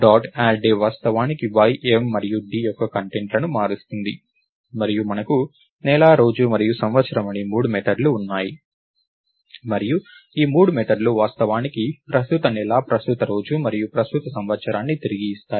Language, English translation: Telugu, add day will actually change the contents of y, y and d and we have three methods called month, day and year and these three methods actually return the current month, the current day and current year